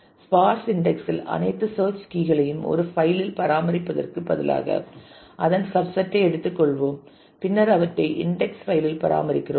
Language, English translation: Tamil, With parse index it means that instead of maintaining all the search key values that exist in the file we just take a subset of that and we maintain those in the index file